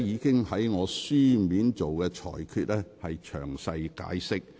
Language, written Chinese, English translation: Cantonese, 我的書面裁決已作詳細解釋。, I have explained in detail in my written ruling